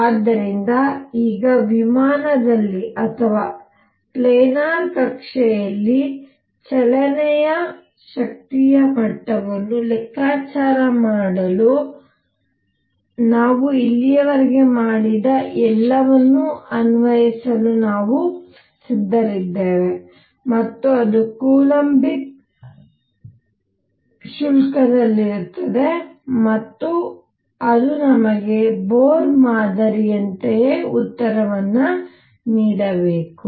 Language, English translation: Kannada, So, now, we are now ready to apply all this that we have done so far to calculate energy levels of the system doing a motion in a plane or in a planar orbit in columbic fees and that should give us the same answer as Bohr model